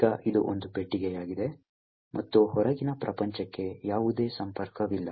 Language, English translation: Kannada, Now, this is a box and there is no connection to the outside world